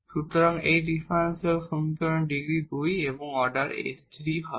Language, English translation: Bengali, So, the degree of this differential equation is 2 and the order is s 3